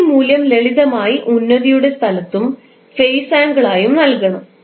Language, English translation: Malayalam, You have to just simply put this value in place of amplitude and this as a phase angle